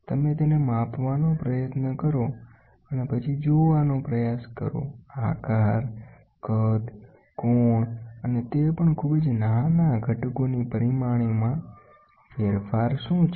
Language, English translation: Gujarati, You try to measure it and then try to see; what are the change in shape, size, angle and even the dimensions of very small components